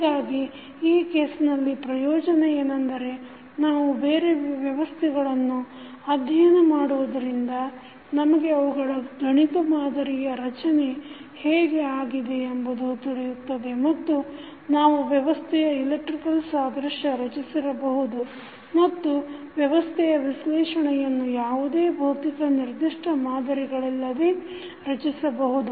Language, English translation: Kannada, So in this case, the advantage which we will get that when we study the other systems we will come to know that how they can be modeled mathematically and we can create the electrical analogous of that system so that we can analyze the system without any physical building of that particular model